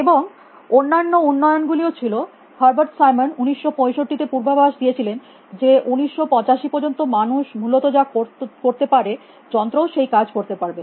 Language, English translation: Bengali, And there was other developments Herbert Simon predicted in 1965 that by 1985 machines will do any work that man can do essentially